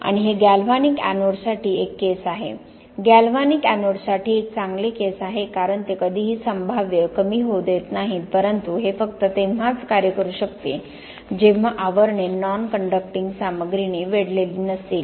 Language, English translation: Marathi, And it is a case for galvanic anodes, a good case for galvanic anodes because they would never allow potential drop that low but it can only work if the sheaths are not surrounded by a non conducting material